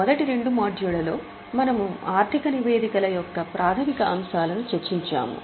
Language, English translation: Telugu, In the first two modules we have discussed the basics of financial statements